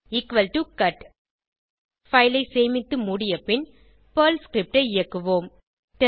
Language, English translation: Tamil, equal to cut Save the file, close it and execute the Perl script